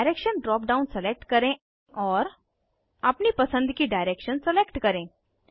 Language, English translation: Hindi, Select Direction drop down and select a direction of your choice